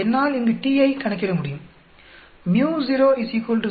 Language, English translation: Tamil, I can calculate the t here µ0 is equal to 0